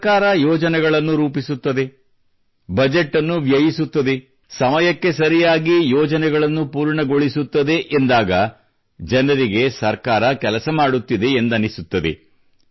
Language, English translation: Kannada, when the government makes plans, spends the budget, completes the projects on time, people feel that it is working